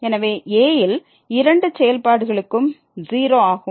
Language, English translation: Tamil, So, for both the functions at is